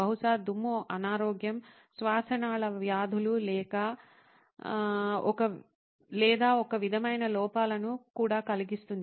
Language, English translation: Telugu, Possibly dust can also cause illness, bronchial diseases or some sort of defects